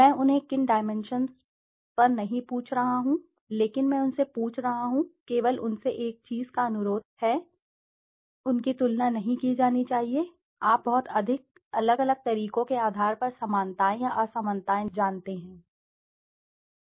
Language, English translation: Hindi, I am not asking them on what dimensions, but I am asking them, only requesting them one thing, they should not be comparing, you know finding similarities or dissimilarities on basis of too many different ways